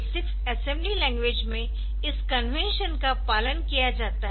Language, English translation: Hindi, So, that is the convention followed during a 8086 assembly language